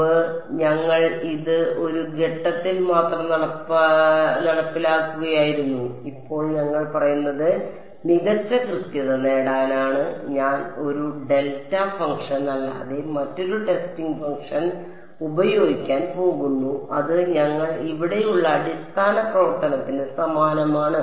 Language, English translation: Malayalam, Previously, we were enforcing this at just one point; now, what we say is to get better accuracy I am going to use a testing function other than a delta function and that is the same as a basis function that we here